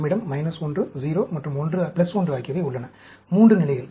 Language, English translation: Tamil, We have minus 1, 0 and plus 1, 3 levels